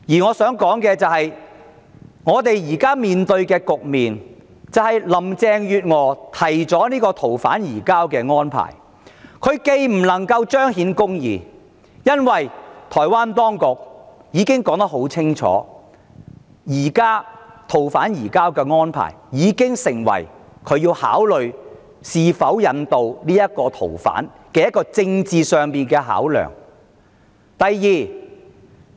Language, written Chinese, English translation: Cantonese, 我想指出現時的局面是林鄭月娥提出的逃犯移交安排無法彰顯公義，因為台灣當局已清楚表明逃犯移交安排已成為它在考慮是否引渡逃犯時的一項政治考量。, The point I wish to make is that in the current situation the arrangements for surrender of fugitive offenders introduced by Mrs Carrie LAM will not possibly see justice done because the Taiwan authorities have made it clear that the arrangements for surrender of fugitive offenders have become a political factor in their consideration of whether or not to extradite fugitive offenders